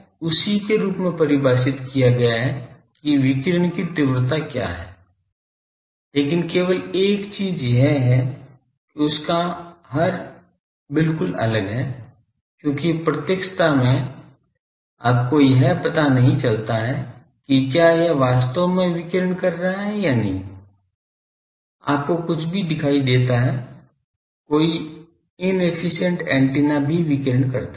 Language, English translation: Hindi, So, it is defined as same that what is the radiation intensity but only thing is it is denominator is a big different because in directivity , you do not find out that whether that is really radiating or not , you see anything, any in efficient antenna also radiates